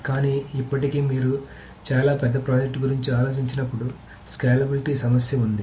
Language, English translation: Telugu, But still there is a problem with scalability when you think of very large projects